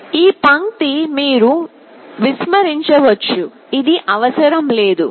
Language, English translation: Telugu, This line you can omit we do not need this